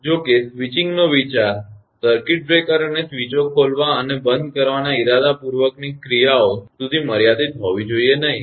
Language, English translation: Gujarati, However, the concept of switching should not be limited to the intentional actions of opening and closing of circuit breaker and switches